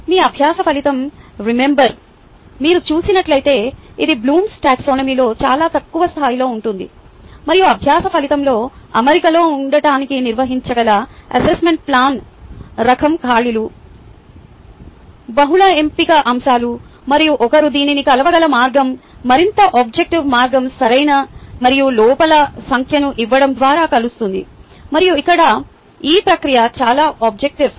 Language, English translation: Telugu, just as an example, if you see your learning outcome says: remember, it is much lower on the bloom taxonomy and the type of assessment which can be conducted to keep in alignment with the learning outcome is things like fill in the blanks, multiple choice items, and the way one could measure this is its rather more objective way of measuring, by giving correct versus number of errors, and here the process is much more objective